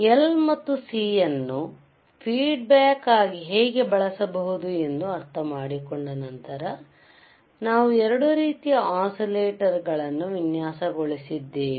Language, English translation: Kannada, Then once we understood how the L and C couldan be used as a feedback network, we have designed 2 types of oscillators,